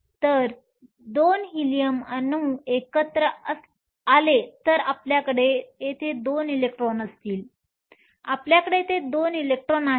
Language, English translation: Marathi, If 2 Helium atoms come together, you have 2 electrons here, you have 2 electrons here